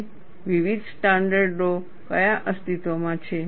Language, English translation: Gujarati, And what are the different standards exist